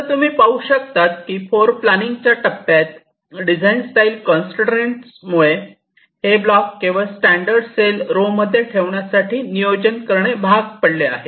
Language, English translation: Marathi, you see, during floorplanning, because of the constraint in the design style, we are forced to plan our these blocks to be placed only along this standard cell rows